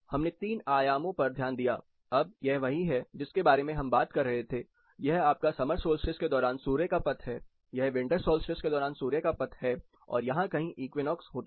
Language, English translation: Hindi, We looked at in the three dimensions, now, this is what we were talking about, this is your traverse of sun during your summer solstice, this is your traverse of sun during winter solstice, equinox occurs somewhere here